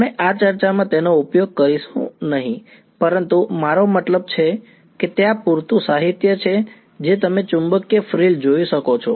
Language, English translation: Gujarati, We will not be using this in this discussion, but I mean there is enough literature all that you can look up magnetic frill